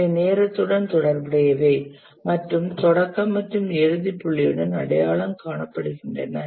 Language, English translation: Tamil, These are associated with a duration and identified with a start and end point